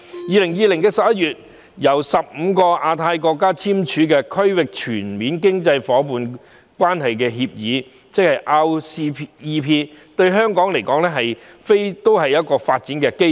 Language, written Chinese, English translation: Cantonese, 2020年11月，由15個亞太國家簽署的《區域全面經濟伙伴關係協定》，對香港來說亦是發展機遇。, The Regional Comprehensive Economic Partnership RCEP signed by 15 Asia - Pacific countries in November 2020 is one of the examples